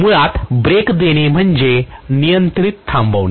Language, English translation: Marathi, So braking basically is controlled stopping